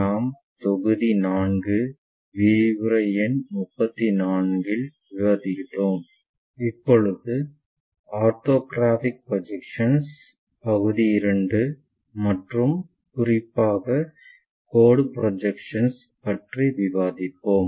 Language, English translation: Tamil, We are covering module 4, lecture number 34, where we are covering Orthographic Projections Part II and especially the line projections